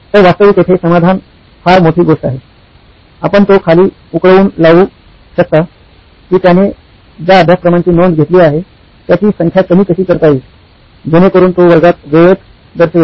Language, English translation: Marathi, So actually solution here is no big deal, you can actually boil it down to how might we reduce the number of courses that he enrols, so that he shows up on time in class